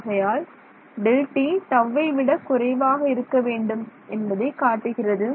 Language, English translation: Tamil, So, it says delta t should be less than tau ok